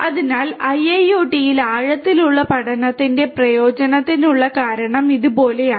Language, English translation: Malayalam, So, the reason for the usefulness of deep learning in IIoT is like this